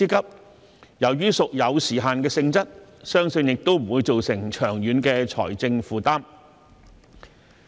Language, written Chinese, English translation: Cantonese, 由於失業援助金屬有時限的性質，相信不會造成長遠財政負擔。, Given the time - limited nature of the unemployment assistance we believe that it will not result in a long - term financial burden